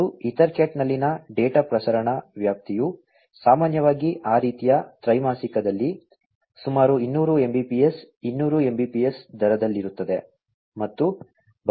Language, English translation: Kannada, And, the range of data transmission in EtherCat is typically in the rate of about 200 Mbps, 200 Mbps in that kind of quarter